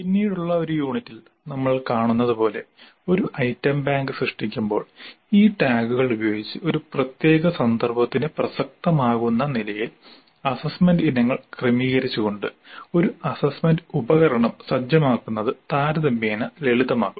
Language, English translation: Malayalam, When we create an item bank as we shall see in a later unit with these tags it becomes relatively simpler to set an assessment instrument by drawing on the assessment items which are relevant for that particular context